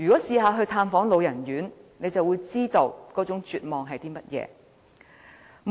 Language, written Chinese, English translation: Cantonese, 曾經探訪老人院的人，便會知道那種絕望的感覺。, If you have visited any residential care homes for the elderly you will know the feeling of despair